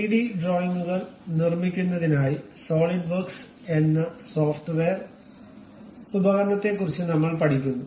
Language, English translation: Malayalam, We are learning about a software tool named Solidworks to construct 3D drawings